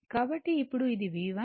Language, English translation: Telugu, So, , now this is your V 1